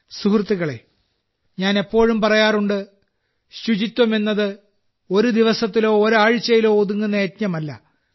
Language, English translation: Malayalam, Friends, I always say that cleanliness is not a campaign for a day or a week but it is an endeavor to be implemented for life